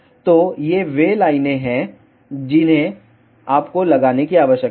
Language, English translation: Hindi, So, these are the lines that you need to put